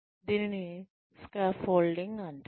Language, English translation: Telugu, This is called scaffolding